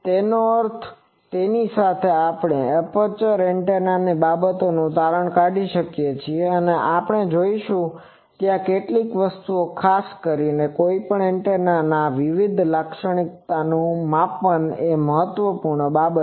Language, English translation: Gujarati, So, with that we conclude this aperture antennas things and we will see that there are certain things particularly the measurement of any antennas various characteristic that is an important thing